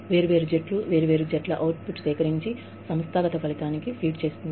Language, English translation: Telugu, Different teams, the output of different teams, is collected, and feeds into the organizational outcome